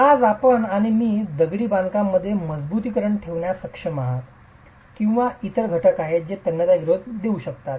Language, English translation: Marathi, Today you and I are able to put reinforcement into masonry or have other elements that can give tensile resistance